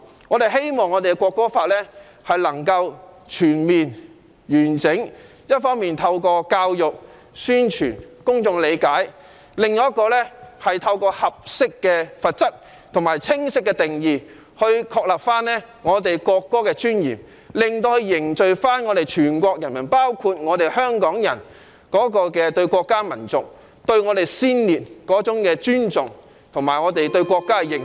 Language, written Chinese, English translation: Cantonese, 我們希望能夠全面、完整地落實《條例草案》，一方面透過教育、宣傳令公眾理解，另一方面透過合適的罰則和清晰的定義，確立國歌的尊嚴，凝聚全國人民，包括香港人對國家、民族、先烈的尊重，以及我們對國家的認同。, We hope that the Bill can be implemented in its entirely . On the one hand we must promote the publics understanding through education and publicity campaigns . On the other hand we must through suitable penalties and clear definitions affirm the dignity of the national anthem foster the respect for our country our nation and our martyrs as well as a sense of national identity among everyone in our country including Hong Kong people